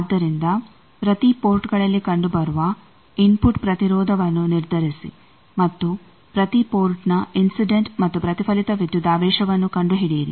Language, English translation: Kannada, So, determine the input impedance seen at each port and find the incident and reflected voltages at each port